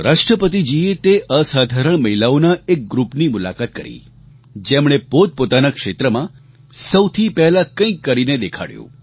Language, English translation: Gujarati, He met a group of extraordinary women who have achieved something significanty new in their respective fields